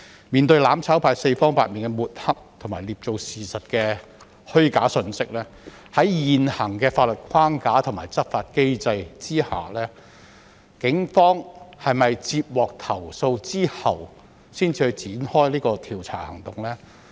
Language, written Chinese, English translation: Cantonese, 面對"攬炒派"四方八面的抹黑和捏造事實的虛假信息，在現行的法律框架和執法機制下，警方是否在接獲投訴後才會展開調查行動？, In the face of countless smears and false information fabricated by the mutual destruction camp will the Police conduct an investigation under the existing legal framework and law enforcement mechanism only when there is a complaint?